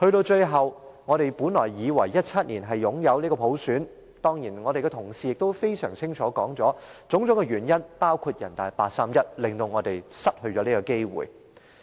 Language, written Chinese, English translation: Cantonese, 最後，我們本來以為2017年能擁有普選，我們的同事已清楚說明種種原因，包括人大常委會八三一決定令我們失去了這個機會。, Finally although we once thought that universal suffrage could be implemented in 2017 the chance was lost again due to many reasons which our fellow colleagues have already explained clearly including the 31 August Decision of the Standing Committee of the National Peoples Congress NPCSC